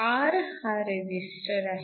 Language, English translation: Marathi, So, R is the resistor